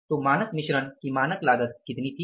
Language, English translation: Hindi, So, what was the standard cost of standard mix